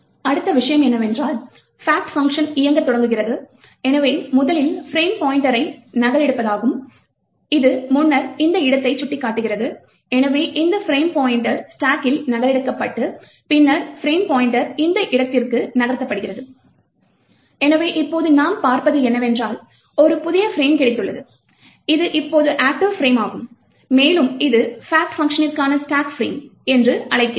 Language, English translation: Tamil, The next thing, what happens is that the fact function starts to execute, so the first thing that the occurs is to copy the frame pointer which was previously pointing to this location, so this frame pointer gets copied onto the stack and then the frame pointer is moved to this location, so now what we have seen is that we have got a new frame and this is now the active frame and it is we call it as the stack frame for the fact function